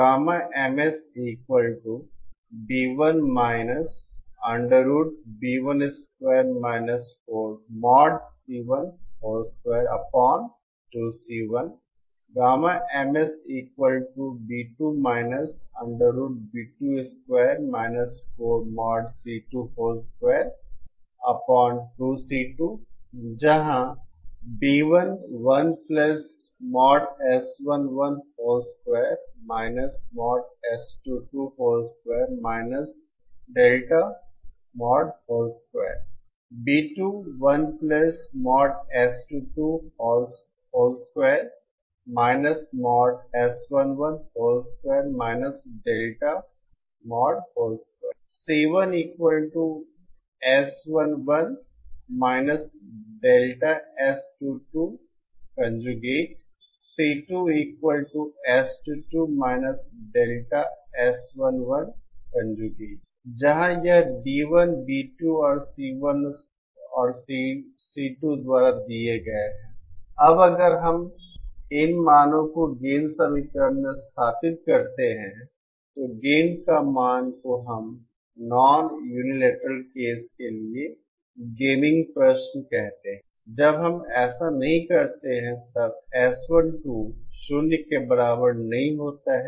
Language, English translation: Hindi, Where this B1, Bs and Cs are given by… Now if we substitute these values into the gain equation then the value of gain we call the gaming question for the non unilateral case that is when we do not make that is when S12 is not equal to 0